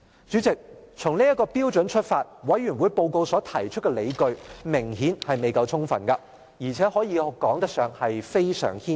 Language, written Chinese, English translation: Cantonese, 主席，從這標準出發，調查委員會報告中所提出的理據明顯未夠充分，而且可說是非常牽強。, President if this standard is adopted the reasons set out in the investigation committee are obviously not ample or we may even say they are very far - fetched